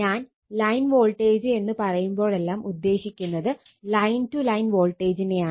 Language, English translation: Malayalam, Whenever you say line voltage, it is line to line voltage